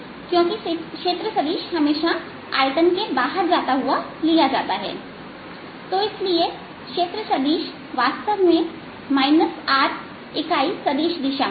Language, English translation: Hindi, ok, and so therefore the area vector is actually in negative r unit vector direction